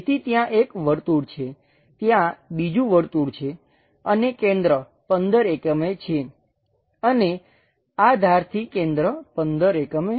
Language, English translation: Gujarati, So, there is one circle, there is another circle and center supposed to be 15 and this center to this edge is 15